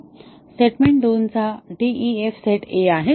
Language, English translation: Marathi, So, DEF set of statement 2 is a